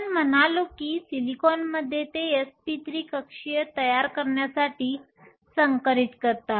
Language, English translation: Marathi, We said that in silicon they hybridize to form s p 3 orbitals